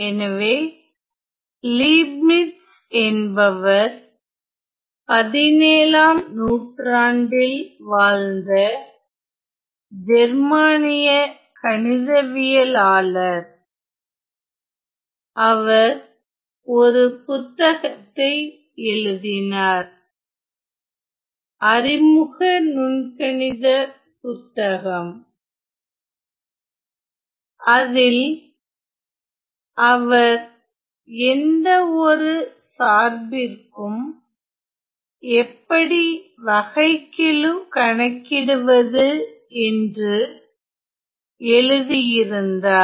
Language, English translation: Tamil, So, Leibniz was a German mathematician in the 17th century who wrote a book well, he wrote an Introductory Calculus book and he talked about how to find how to find the derivatives of any function ok